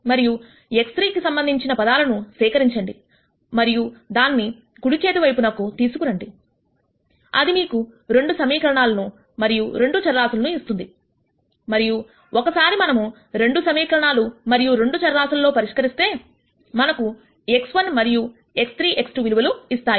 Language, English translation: Telugu, And whatever are the terms with respect to x 3 you collect them and take them to the right hand side; that would leave you with 2 equations and 2 variables and once we solve for that 2 equations and 2 variables we will get values for x 1 and x 3 x 2